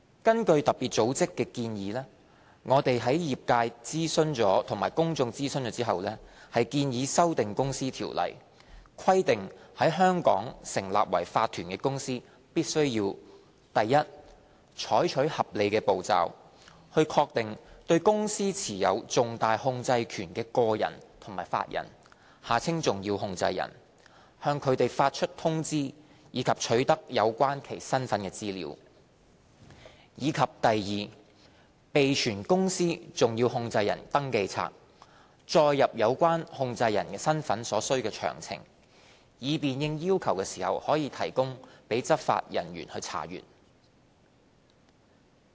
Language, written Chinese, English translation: Cantonese, 根據特別組織的要求，我們在諮詢業界和公眾後，建議修訂《公司條例》，規定在香港成立為法團的公司必須： a 採取合理步驟，確定對公司持有重大控制權的個人及法人、向他們發出通知，以及取得有關其身份的資料；及 b 備存公司重要控制人的登記冊，載入有關控制人身份的所需詳情，以便應要求供執法人員查閱。, In line with the requirements of FATF we have after consulting the industry and the public proposed amending the Companies Ordinance to require a company incorporated in Hong Kong to a take reasonable steps to ascertain the individuals and legal persons that have significant control over the company give notices to them and obtain information about their identities; and b maintain a register of significant controllers of the company containing the required particulars of their identities for inspection by law enforcement officers upon demand